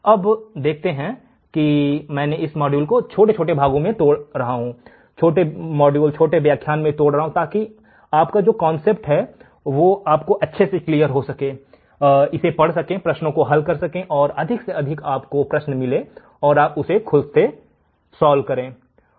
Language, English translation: Hindi, Again you see I am breaking this module into small modules or breaking the lecture into small modules, so that you can understand the concept, read it, solve the problems get more problems and solve by yourself all right